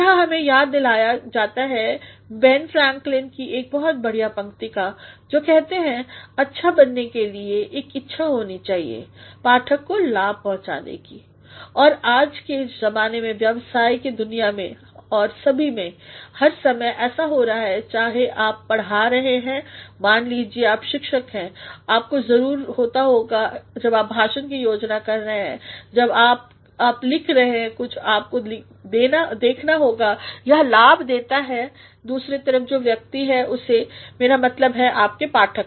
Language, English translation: Hindi, Here we are reminded of one very good line by Ben Franklin who says ‘To be good, it ought to have a tendency to benefit the reader’ and in contemporary times in a business world and in all in all the times it has been whether you are teaching, suppose you are a teacher you must while you are planning a lecture while you while you are writing something you must see that it benefits the person on the other side, I mean your readers